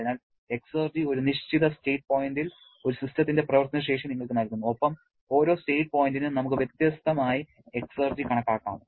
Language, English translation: Malayalam, So, exergy gives you the work potential of a system at a given state point and for every state point we can calculate exergy differently